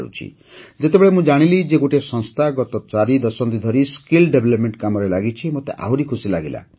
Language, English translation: Odia, And when I came to know that an organization has been engaged in skill development work for the last four decades, I felt even better